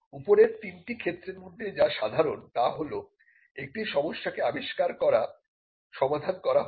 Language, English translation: Bengali, Now, what is common in all these 3 things is that, there is an problem that is being solved by the invention